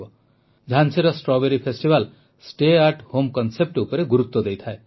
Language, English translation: Odia, Jhansi's Strawberry festival emphasizes the 'Stay at Home' concept